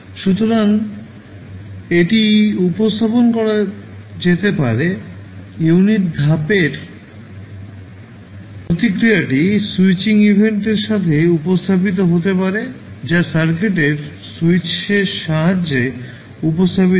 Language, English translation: Bengali, So, this can be represented, the unit step response can be represented with the switching event which is represented with the help of switch in the circuit